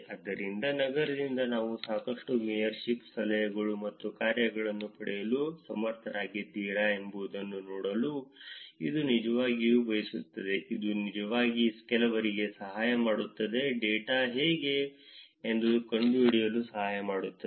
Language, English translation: Kannada, So, it is actually wanted to see whether from a city, whether you are able to get a lot of mayorship, tips and dones, this can actually help some, help find out how the data is